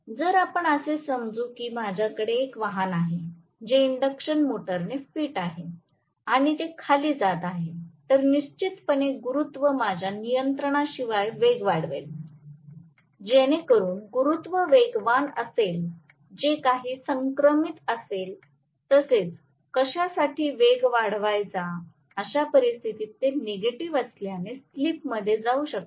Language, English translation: Marathi, If let us say, I have a vehicle which is fitted with induction motor right and it is moving downhill, then definitely the gravity will make the speed go up unless I control it, so the gravity can make the speed go up beyond whatever is the synchronous speed also for what you know, in which case it can go into slip being negative